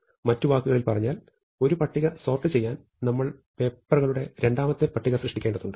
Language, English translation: Malayalam, In other words, in order to sort one pile we have to create a second pile of papers